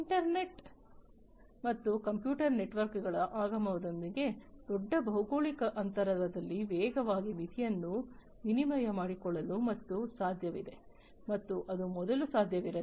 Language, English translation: Kannada, So, now with the advent of the internet and the computer networks and so on, now it is possible to rapidly in to exchange information rapidly over large geographical distance and that was not possible earlier